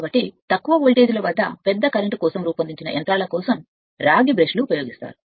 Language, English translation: Telugu, So, the use of copper brush is made up for machines designed for large currents at low voltages right